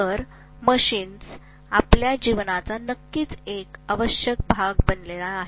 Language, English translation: Marathi, So machines have become definitely an essential part of our life